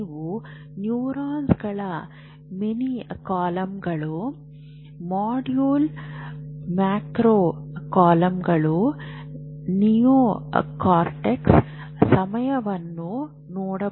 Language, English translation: Kannada, Here you have neurons, mini columns, module, micro columns, neocortex